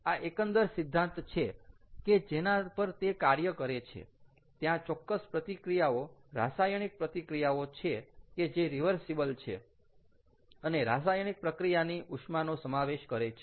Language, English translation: Gujarati, the overall principle on which this operates is there are certain reactions, chemical reactions, which are reversible and which involve a heat of reaction